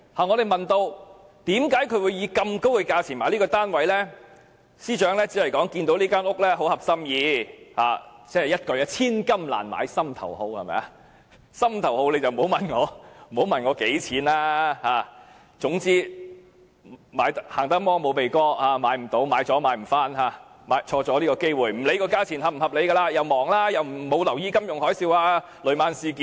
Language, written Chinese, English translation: Cantonese, 我們問她為何會以這麼高的價錢買入該物業，她只是說該物業很合心意——一言以蔽之，"千金難買心頭好"，心頭好不問價錢——生怕遲了會買不到，不想錯過機會，所以不理價錢是否合理，而且她太忙，沒有留意金融海嘯和雷曼事件。, We asked her why she bought the property for such a high price and she only said that she liked the property very much―in a nutshell as one regards what one truly likes as priceless the price is beside the point; that she feared she would not be able to buy the property if she delayed in making the purchase decision; that she did not want to miss the chance and so did not care about whether the price was reasonable; and that she was too busy to pay attention to the financial tsunami and the Lehman Brothers incident